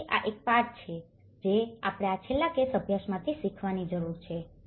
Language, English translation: Gujarati, So, this is one lesson which we need to learn from this last case study